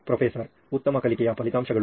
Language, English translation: Kannada, Better learning outcomes